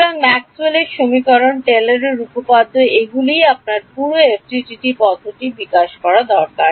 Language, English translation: Bengali, So, Maxwell’s equations Taylor’s theorem this is all that you need to develop the entire FDTD method